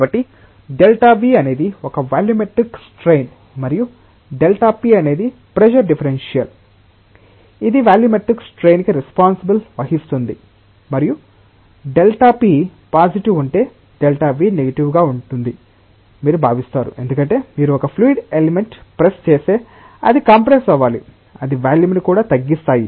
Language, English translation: Telugu, So, this is the kind of a volumetric strain and this is the pressure differential, which is responsible for the volumetric strain and you expect that if delta p is positive delta v is negative because, if you press a fluid element it should compress it is volume should decrease